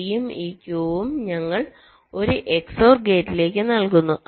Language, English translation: Malayalam, d and this q, we are feeding to an x o r gate